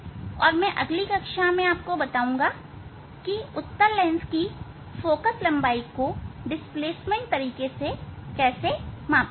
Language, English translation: Hindi, In last class I have demonstrated how to measure the focal length of a convex lens; now concave lens